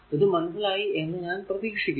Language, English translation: Malayalam, So, I hope it is understandable to you right